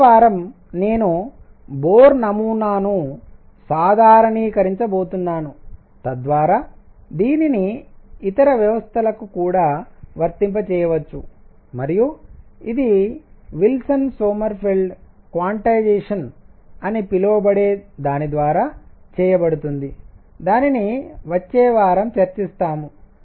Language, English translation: Telugu, Next week I am going to generalize Bohr model to, so that it can be applied to other systems also and this is going to be done through what is known as Wilson Sommerfeld quantization that is going to be done next week